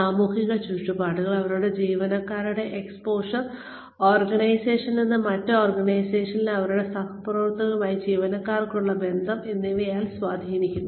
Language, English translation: Malayalam, They are influenced by the social environment, by the exposure of their employees, from within the organization, by the connections employees have with their counterparts in other organizations